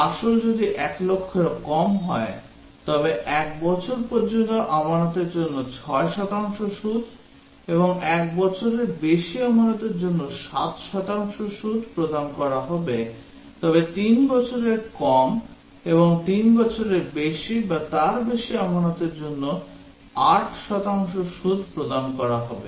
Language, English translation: Bengali, If the principal is less than 1 lakh, then 6 percent interest is payable for deposit up to 1 year and 7 percent interest is payable for deposit over 1 year but less than 3 years and 8 percent interest for deposit for 3 year and above